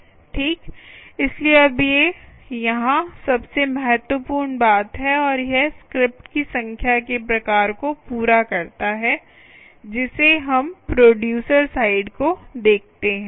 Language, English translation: Hindi, all right, so now these are the most important thing here and this completes the type of the number of scripts that we look up at the producer side